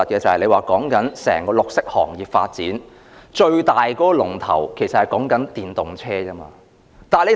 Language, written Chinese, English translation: Cantonese, 整個綠色行業的發展，最大的龍頭其實是電動車。, Electric vehicles are actually the flagship in the development of the green industry as a whole